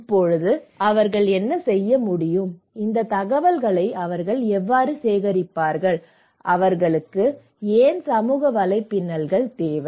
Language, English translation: Tamil, Now, what do they do, how they would collect these informations, and why do they need social networks